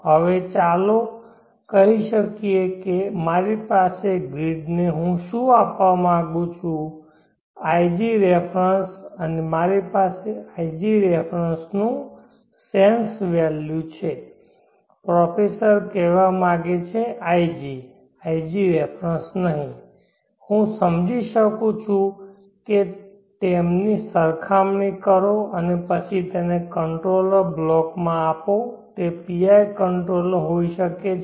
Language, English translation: Gujarati, Now let us start with a comparator let me compare an ig reference, now let us say that I have by sum means ig reference what I would like to give to the grid and I have the sums to value of ig reference I can sense that compare them and then pass it to controller block it could be a PI controller